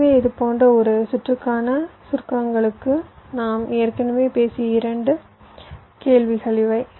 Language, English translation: Tamil, so to summaries for a circuit like this skew, these are the two question already we have talked about